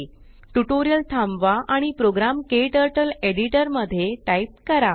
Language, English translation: Marathi, Pause the tutorial and type the program into your KTurtle editor